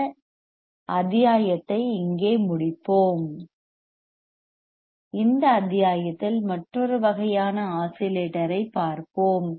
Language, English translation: Tamil, Let us complete this module here and we will see in the next module the another kind of oscillator